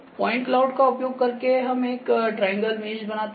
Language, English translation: Hindi, Using the point cloud we create a triangle mesh ok